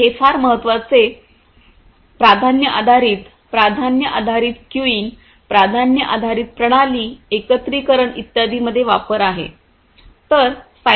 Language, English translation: Marathi, So, these are you know very important priority based, you know, priority based queuing priority based system you know, integration and so, on